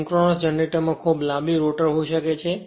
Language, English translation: Gujarati, Synchronous generator may have a very long rotor right